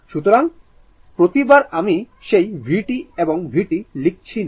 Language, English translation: Bengali, So, every time I am not writing that your v t and v t